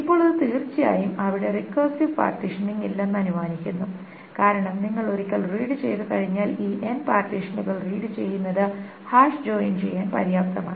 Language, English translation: Malayalam, Now this is of course assuming that there is no recursive partitioning because once you read and then reading this end partitions is good enough to do the hash joint